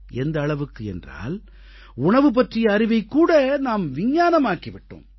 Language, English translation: Tamil, We have even converted the knowledge about food into a science